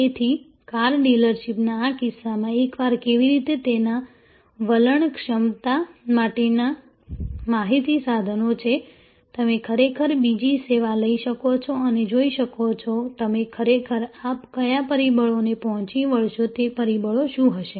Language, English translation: Gujarati, So, in this case in the car dealership, the how once are training attitude capacity information equipment, you can actually take up another service and see, what will be the how factors by which you will actually meet these what factors